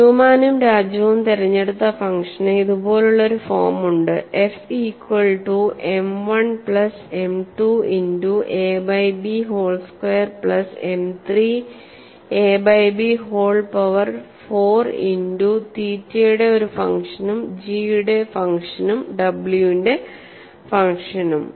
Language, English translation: Malayalam, Then the function chosen by Newman and Raju has a form like this, f equal to M 1 plus M 2 multiplied a by B whole square plus M 3 a by B whole power 4 multiplied by a function of theta and a function g and function of w